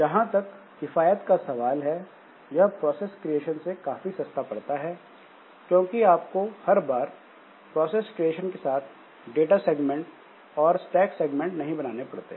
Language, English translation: Hindi, So cheaper than process creation because you have to, you don't need to create the data segment, stack segment like that